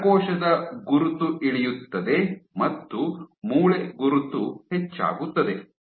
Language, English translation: Kannada, So, drop in neuronal marker increase in bone marker